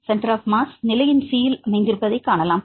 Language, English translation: Tamil, So, we can see the center of mass right it is located at position number C